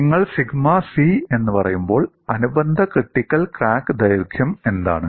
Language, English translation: Malayalam, When you say sigma c, what is the corresponding critical crack length